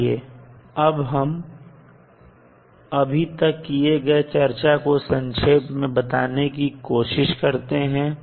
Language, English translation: Hindi, Let us try to summarize what we have discussed till now